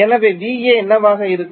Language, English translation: Tamil, So, what will be V AB